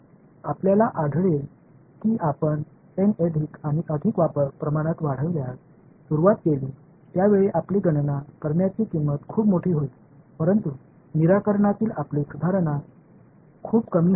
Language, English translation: Marathi, What you will find is as you begin increasing N more and more and more at some point your cost of computation becomes very large , but your improvement in solution becomes very less